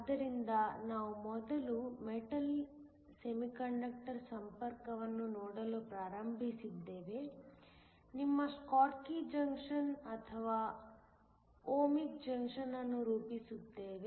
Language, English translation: Kannada, So, we first started looking at a Metal Semiconductor contact, forms your Schottky junction or an Ohmic junction